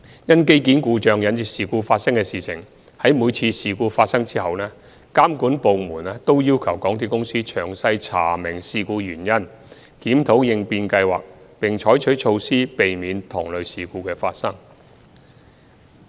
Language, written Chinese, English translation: Cantonese, 因機件故障引致事故發生的事件，在每次發生事故後，監管部門均要求港鐵公司詳細查明事故原因，檢討應變計劃，並採取措施避免同類事故發生。, After each of such incident caused by equipment failure the monitoring department would ask MTRCL to look into the cause of the incident and review the contingency plan in the light of the experience gained and introduce measures to avoid recurrence